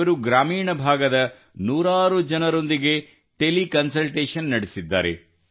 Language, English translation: Kannada, He has provided teleconsultation to hundreds of people in rural areas